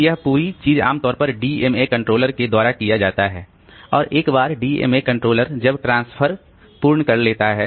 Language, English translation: Hindi, So, this whole thing is normally done by the DMA controller and once the DMA controller is done with the transfer, so it informs the CPU that the transfer is over